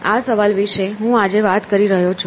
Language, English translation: Gujarati, So, that is the question I am driving at today